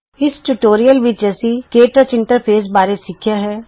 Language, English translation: Punjabi, In this tutorial we learnt about the KTouch interface